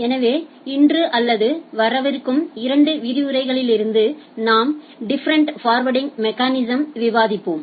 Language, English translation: Tamil, So, today or from coming couple of lectures, we’ll be discussing or different forwarding mechanisms